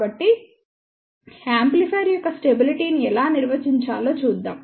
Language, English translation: Telugu, So, let us see how we define stability of an amplifier